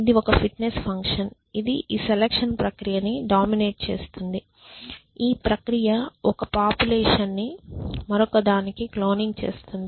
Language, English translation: Telugu, It is a fitness function which dominates this selection process that this process of cloning one population into the next